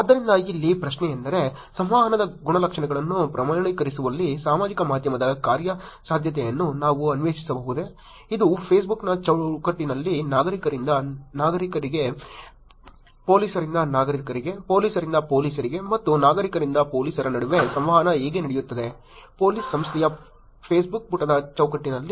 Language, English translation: Kannada, So, the question here is can we explore the feasibility of social media in quantifying attributes of communication, which is how the communication happens between Citizen to Citizen, Police to Citizen, Police to Police and Citizens to Police, in the frame work of Facebook, in the frame work of a Facebook page of Police Organization